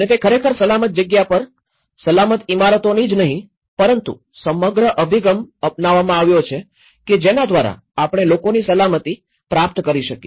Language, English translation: Gujarati, And it can actually not only at the safe positioning the buildings in the safe land but their orientations, the way the whole approach has been taken so that we can at least achieve the safety for the people